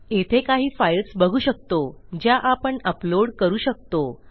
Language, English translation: Marathi, We can see we got a selection of files which we can upload